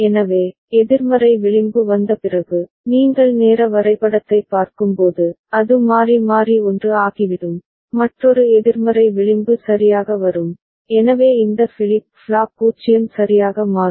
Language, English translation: Tamil, So, after the negative edge comes, as you see the timing diagram, it will toggle it will become 1 another negative edge comes ok, so this flip flop will become 0 right